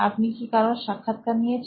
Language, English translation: Bengali, Have you interviewed anyone